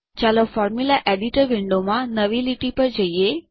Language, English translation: Gujarati, Let us go to a new line in the Formula Editor Window